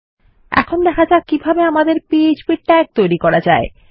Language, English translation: Bengali, Let us see how to create our php tags